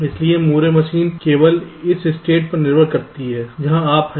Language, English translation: Hindi, so, moore machine, the next state depends only on this state where you are, so it is not dependent on the input